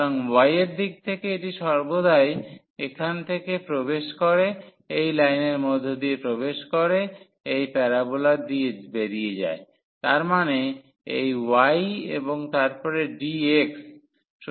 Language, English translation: Bengali, So, in the direction of y it always goes from it enters through this line and exit through this parabola so; that means, this y and then dx